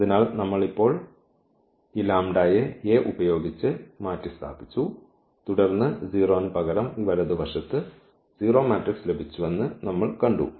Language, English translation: Malayalam, So, we have just replaced here lambda by this A and then we have seen that this right side instead of the 0 we got the 0 matrix